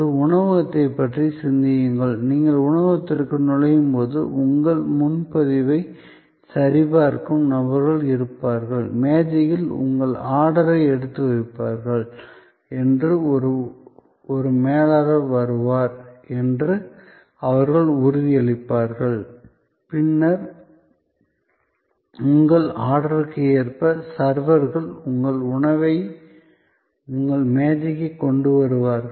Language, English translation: Tamil, Think of a restaurant, so as you enter the restaurant, there will be people who will check your booking, they will assure you to the table, a steward will come, who will take your order and then, the servers will bring your food to your table according to your order